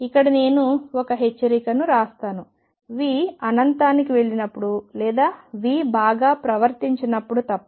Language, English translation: Telugu, Let me write a warning here except when v goes to infinity or v is not well behaved